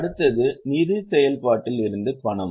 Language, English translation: Tamil, Next is cash from financing activity